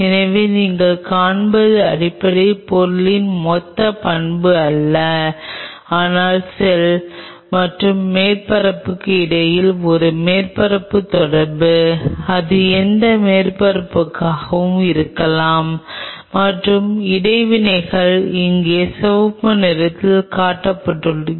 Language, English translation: Tamil, So, what you see is a basically a not a bulk property of the material, but a surface interaction between cell and surface it could be any surface and the interactions are shown here in the red color